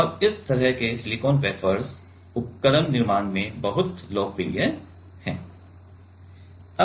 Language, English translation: Hindi, And, this kind of silicon wafers are very much popular in means device fabrication